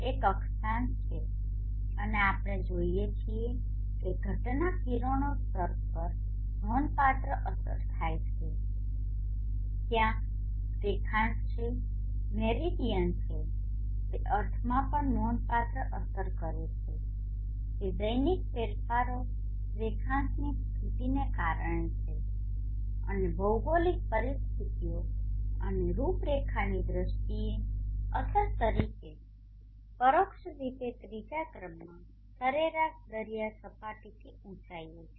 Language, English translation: Gujarati, And location we have 3 important parameters one is the latitude and we see that we have seen that having a significant effect on the incident radiation there is the longitude the Meridian it also has a significant effect in the sense that the diurnal changes are due to the longitudinal position and also the longitude indirectly as an effect in terms of the geographic conditions and profiles the third one is the height above mean sea level